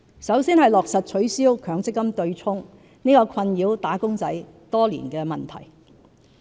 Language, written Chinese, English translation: Cantonese, 首先是落實取消強積金計劃對沖安排這個困擾"打工仔"多年的問題。, The first initiative concerns the abolition of the offsetting arrangement under the MPF System which has beleaguered wage earners for years